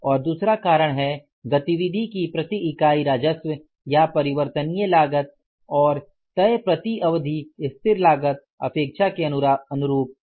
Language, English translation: Hindi, And number two is revenue or variable cost per unit of activity and fixed cost per period were not same as expected